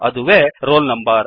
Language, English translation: Kannada, That is roll number